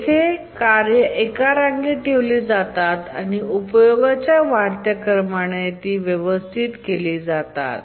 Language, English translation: Marathi, Here the tasks are maintained in a queue and these are arranged in the increasing order of their utilization